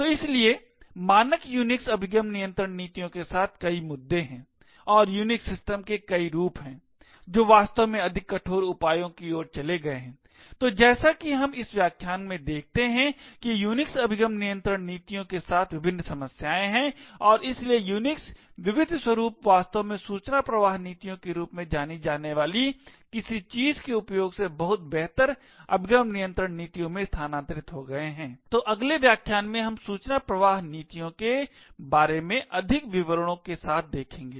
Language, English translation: Hindi, So therefore there are multiple issues with standard Unix access control policies and there are several variants of Unix systems which have actually migrated to more stringent measures, so as we see in this lecture there are various problems with the Unix access control mechanisms and therefore many Unix flavours has actually migrated to a much better access control policies using something known as information flow policies, so in the next lecture we look at more details about information flow policies